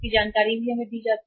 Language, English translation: Hindi, This information is also given to us